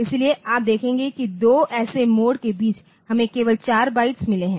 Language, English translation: Hindi, So, you will see that between 2 such modes so, we have got only 4 bytes